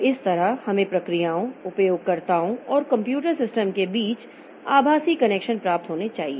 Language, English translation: Hindi, So, this way we must have got virtual connections among processes, users and computer systems